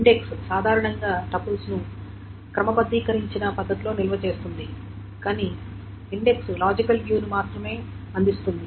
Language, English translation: Telugu, So, index generally stores the tuples in a sorted manner, but index only provides a logical view because it has got only pointers to the actual tuples